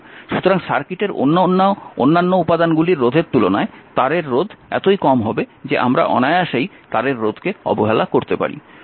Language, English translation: Bengali, So, the resistance of the wire is so small compared to the resistance of the other elements in the circuit that we can neglect the wiring resistance